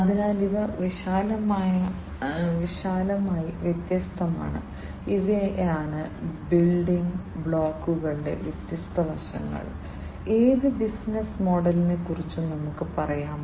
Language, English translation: Malayalam, So, these are the different broadly, these are the different aspects the building blocks, let us say of any business model